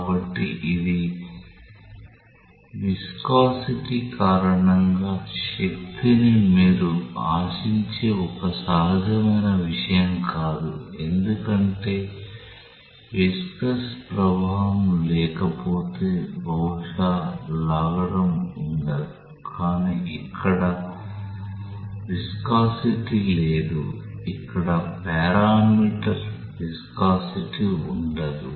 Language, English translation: Telugu, So, it is a kind of like not an intuitive thing that you expect the force due to viscosity because if there is no viscous effect perhaps would be no drag, but there is no viscosity here, there is no presence of the parameter viscosity here